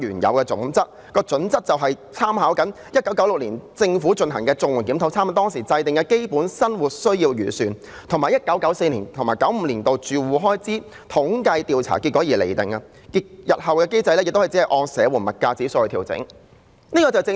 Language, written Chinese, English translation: Cantonese, 這準則便是根據1996年政府進行的綜援檢討，參考當時制訂的"基本生活需要預算"，以及 1994-1995 年度的住戶開支統計調查結果來釐定，日後亦只會按社援物價指數來調整。, The criteria were drawn up on the basis of the review of CSSA conducted by the Government in 1996 with reference drawn to the Basic Needs approach formulated back then and the results of the Household Expenditure Survey for 1994 - 1995 . The rates will only be adjusted in accordance with the SSA Index of Prices in the future